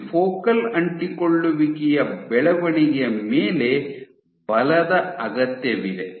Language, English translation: Kannada, So, on these focal adhesion growths the forces that are required